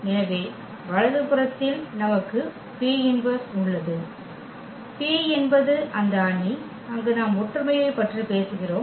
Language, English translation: Tamil, So, the right hand side we have P inverse, P is that matrix which we are talking about the similarity there